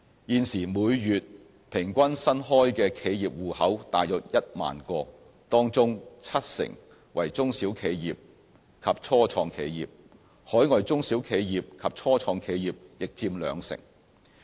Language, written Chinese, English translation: Cantonese, 現時每月平均新開的企業戶口大約有1萬個，當中七成為中小企業及初創企業，海外中小企業及初創企業亦佔兩成。, Currently an average of about 10 000 new business accounts opened per month with 70 % of them relating to small - and - medium enterprises SMEs and start - up companies and 20 % relating to overseas SMEs and start - ups companies